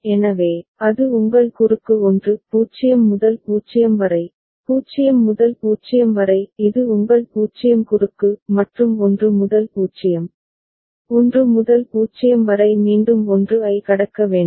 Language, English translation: Tamil, So, that is your cross 1; 0 to 0, 0 to 0 this is your 0 cross; and 1 to 0, 1 to 0 again cross 1